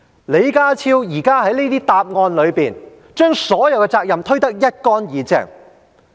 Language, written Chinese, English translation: Cantonese, 李家超現時這些答覆，就是把所有責任都推得一乾二淨。, The replies given by John LEE intended to shirk all his responsibilities